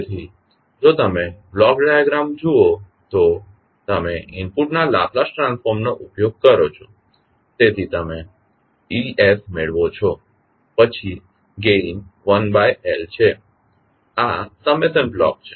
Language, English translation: Gujarati, So, if you see the block diagram, you use the Laplace transform of the input, so you get es then gain is 1 by L this is the summation block